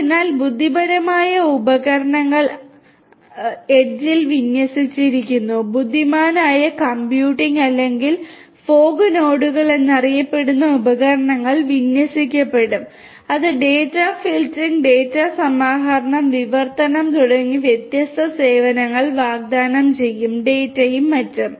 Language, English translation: Malayalam, So, intelligent devices are deployed at the edge, intelligent computing or devices such as the fog nodes, which are known as the fog nodes would be would be deployed which can offer different services such as filtering of the data, aggregation of the data, translation of the data and so on